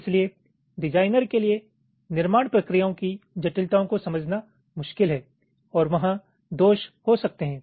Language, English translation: Hindi, so it is difficult for the designer to understand the intricacies of the fabrication processes, defaults that can occur there in ok